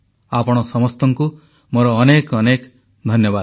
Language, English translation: Odia, I Thank all of you once again